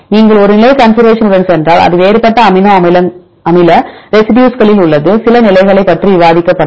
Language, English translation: Tamil, If you go with a positional conservation this is at the different amino acid residues we discussed about few positions